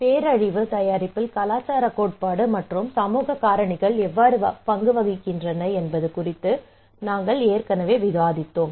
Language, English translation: Tamil, We already had discussion on what cultural theory and social factors they play a role in disaster preparedness